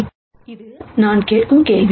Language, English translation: Tamil, It is a question that I am asking